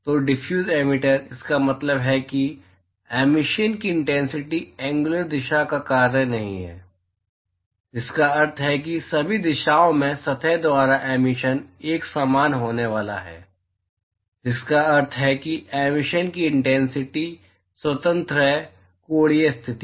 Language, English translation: Hindi, So, Diffuse Emitter, it means that, the intensity of emission is not a function of the angular direction, which means that, in all directions the emission by the surface is going to be uniform, which means that the intensity of emission is independent of the angular position